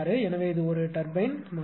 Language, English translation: Tamil, So, this is actually a turbine model